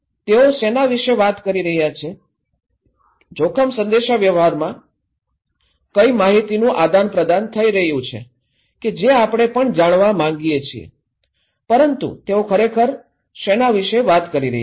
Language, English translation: Gujarati, What they are talking about, what are the contents of that exchange of informations that we also like to know, in risk communications but what they are really talking about